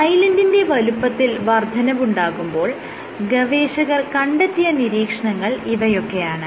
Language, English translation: Malayalam, What you see what the authors found was with increase in Island size, they observe the following thing